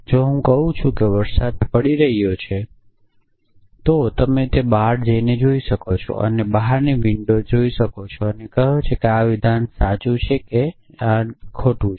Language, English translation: Gujarati, If I say it is raining you can go out and look at outside window and say that the statement is true or statement is false